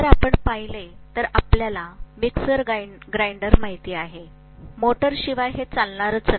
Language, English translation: Marathi, If you look at, you know mixer grinder, without motor, it will not work